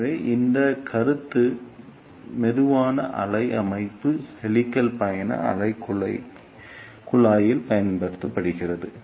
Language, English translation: Tamil, So, this concept is used in slow wave structure helix travelling wave tube